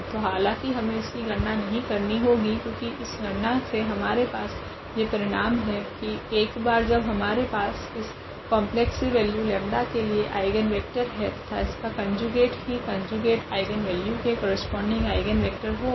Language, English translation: Hindi, So, indeed we do not have to compute this since we know this result from this calculation that once we have eigenvector corresponding to one complex value of this lambda and its conjugate will be will be the eigenvector of the other conjugate eigenvalue